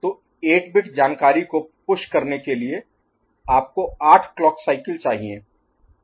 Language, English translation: Hindi, So, to push 8 bit of information, you need 8 clock cycles ok